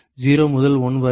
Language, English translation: Tamil, 0 to 1